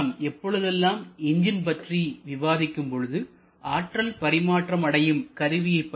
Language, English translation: Tamil, Now we know that whenever you talk about engines, we are generally talking about an energy conversion device